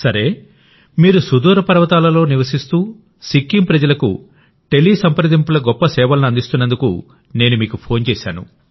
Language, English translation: Telugu, Well, I called because you are providing great services of teleconsultation to the people of Sikkim, living in remote mountains